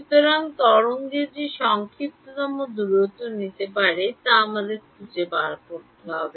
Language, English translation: Bengali, So, we have to find out the shortest distance that wave could take